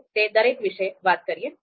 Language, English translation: Gujarati, So let’s talk about each one of them